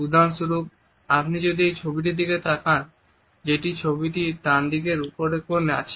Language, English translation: Bengali, For example, if you look at this particular photograph which is there on the right hand top corner